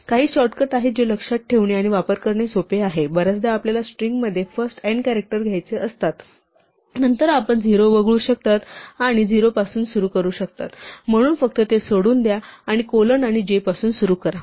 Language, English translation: Marathi, There are some shortcuts which are easy to remember and use; very often you want to take the first n characters in the string, then you could omit the 0, and just say start implicitly from 0, so just leave it out, so just start say colon and j